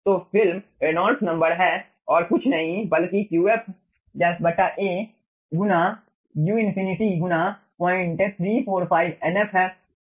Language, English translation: Hindi, so film reynolds number is nothing but qf dashed by a into u infinity, into 0 point 345, into nf